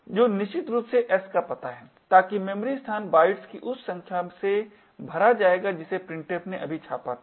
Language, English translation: Hindi, So, what we have seen here is that we have been able to change the value of s with the number of bytes that printf has actually printed so far